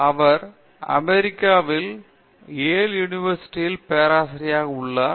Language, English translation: Tamil, He is a professor in Yale university in US